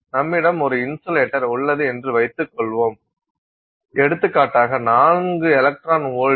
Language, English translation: Tamil, Let's assume that we have an insulator for example, 4 electron volts